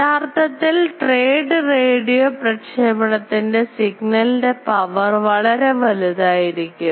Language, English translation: Malayalam, And in actually in radio communication of voice this signal power is quite higher